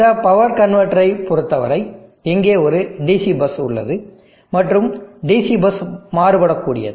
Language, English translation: Tamil, And as for this power convertor is concerned it has a DC bus here